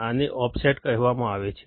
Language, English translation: Gujarati, This is called the offset